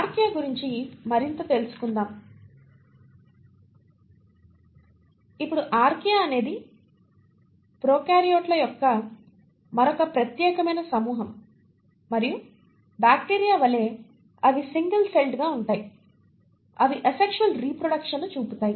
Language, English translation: Telugu, More about Archaea; now Archaea is another unique group of prokaryotes and like bacteria, they are single celled, they do show asexual reproduction